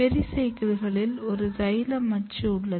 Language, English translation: Tamil, In pericycle there is a xylem axis